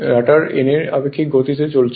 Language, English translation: Bengali, Rotor is not moving n is equal to 0